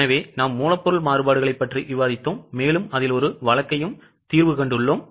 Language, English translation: Tamil, So, we have just discussed material variances and also done one case on it